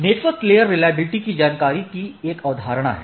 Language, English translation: Hindi, There is a concept of network layer reachability information